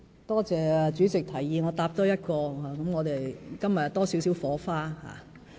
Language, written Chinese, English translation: Cantonese, 多謝主席提議我多回答一項質詢，令我們今天又多了少許火花。, I thank the President for asking me to answer one more question because this occasion today is thus enlivened in a way